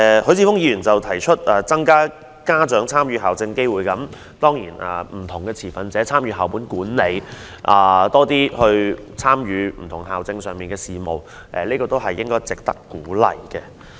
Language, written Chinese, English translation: Cantonese, 許智峯議員提議增加家長參與校政機會，讓不同持份者參與校務管理，多些參與校政上的事務，都是值得鼓勵的。, Mr HUI Chi - fung suggests increasing the opportunities for parents to participate in school policies . It is encouraging to see different stakeholders participate in the management of the school and participate more in handling school affairs